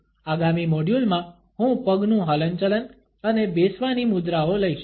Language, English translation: Gujarati, In the next module, I would take up the movement of the feet and sitting postures